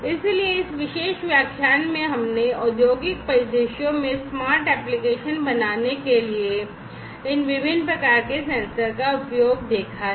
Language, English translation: Hindi, So, in this particular lecture we have seen the use of these different types of sensors for making smart applications in industrial scenarios